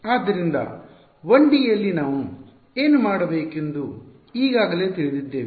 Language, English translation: Kannada, So, this we in 1 D we already know what to do